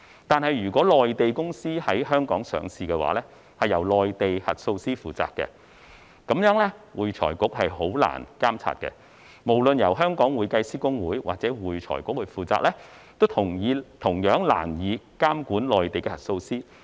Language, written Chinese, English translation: Cantonese, 可是，如果內地公司在香港上市，則會由內地核數師負責，這樣會財局便會難以監察，不論是由會計師公會或會財局負責，都同樣難以監管內地核數師。, However Mainland companies listed in Hong Kong are under the purview of Mainland auditors . Such being the case it will be difficult for AFRC to exercise regulation . It will be difficult be it for HKICPA or AFRC to monitor Mainland auditors